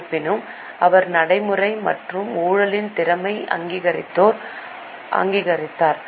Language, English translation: Tamil, However, he was practical and recognized the potential of corruption